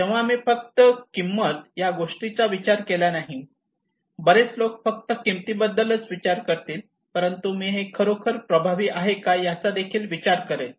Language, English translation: Marathi, So the thing I will think not only cost many people think about the cost, but I will think also is it really effective